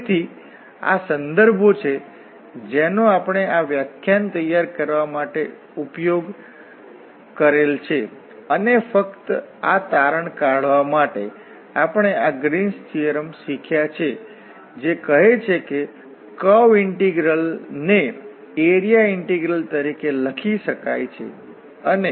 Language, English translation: Gujarati, So, these are the references we have used for preparing this lecture and just to conclude, we have learned this Green’s theorem, which says that the curve integral can be written as the area integral